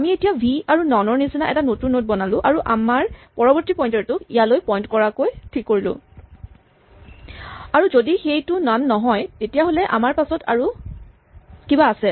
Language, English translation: Assamese, We would now create a new node which looks like v and none and we will set our next pointer to point to it and the final thing is that if it is not none then we have something else after us